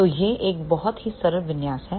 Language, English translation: Hindi, So, it is a very very simplified configuration